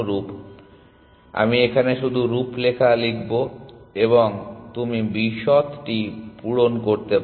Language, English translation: Bengali, So, I will just write the outline here and you can fill in the details